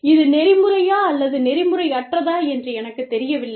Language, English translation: Tamil, I do not know, whether it is ethical or unethical